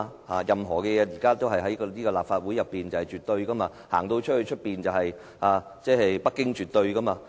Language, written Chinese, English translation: Cantonese, 現在任何事情在這個立法會內也是絕對的，外面則是北京是絕對的。, Now everything in this Legislative Council is absolute while the decision of Beijing is absolute outside